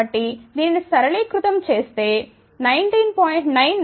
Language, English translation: Telugu, So, simplify this that comes out to be 19